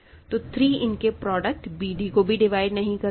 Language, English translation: Hindi, So, 3 does not divide the product b d